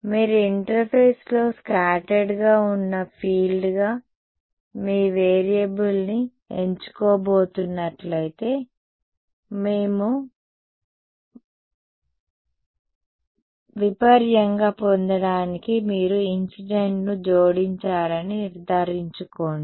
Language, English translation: Telugu, If you are going to choose your variable as the scattered field on the interface, then make sure that you add incident to get the total and vice versa ok